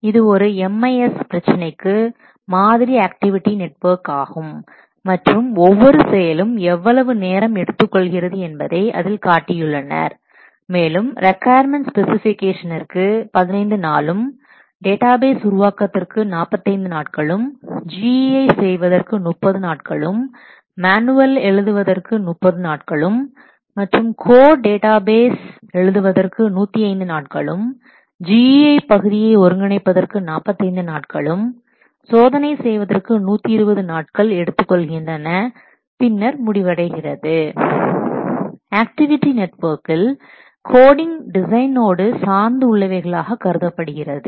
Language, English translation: Tamil, So, this is a sample of what activity network for a MIS problem where the various activities and their expected times they will take to what for their, these activities activities how much time they are expected to take that is also written like requirement specifications will take 15 days designing database will take 45 days designing GII will take 30 days and then writing manual will take 30 days then what code database will take 105 days coding GIAPD will 45 days, integrate and testing will take 120 days and then complete